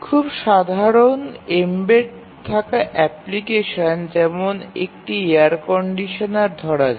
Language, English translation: Bengali, For very very simple embedded applications, for example, let us say a air conditioner